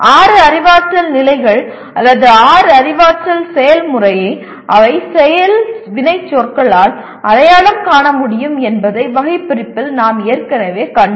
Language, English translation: Tamil, We have already seen in the taxonomy that the six cognitive levels or six cognitive process they can be identified by a set of action verbs